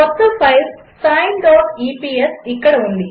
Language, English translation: Telugu, the new file sine dot epsis here